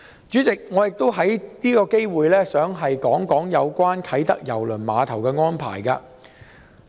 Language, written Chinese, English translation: Cantonese, 主席，我亦想藉此機會談談有關啟德郵輪碼頭的安排。, President I would also like to take this opportunity to talk about the arrangements in respect of the Kai Tak Cruise Terminal KTCT